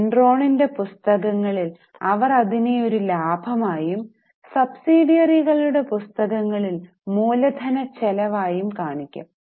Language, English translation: Malayalam, In the books of Enron, they would report it as a profit, and in the books of subsidiaries, they will show it as a capital expenditure